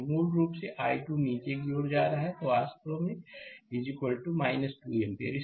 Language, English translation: Hindi, So, basically i 2 going downwards; so i 2 actually is equal to minus 2 ampere right